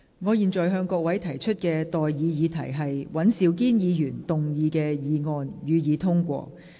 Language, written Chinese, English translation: Cantonese, 我現在向各位提出的待議議題是：尹兆堅議員動議的議案，予以通過。, I now propose the question to you and that is That the motion moved by Mr Andrew WAN be passed